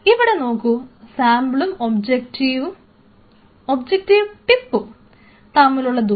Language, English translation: Malayalam, So, look at this distance between the sample and the micro and the objective tip